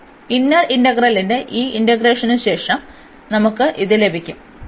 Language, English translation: Malayalam, So, after this integration of the inner integral, we will get this